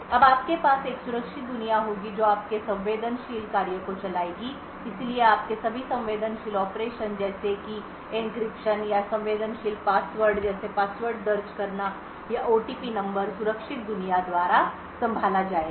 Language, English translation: Hindi, Now you would have a secure world as well which would run your sensitive task so all your sensitive operations such as for example encryption or entering sensitive data like passwords or OTP numbers would be handled by the secure world